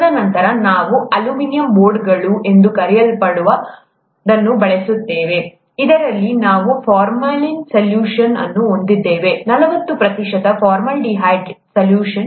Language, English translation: Kannada, And then, we use what are called aluminum boards, in which we have this formalin solution, forty percent formaldehyde solution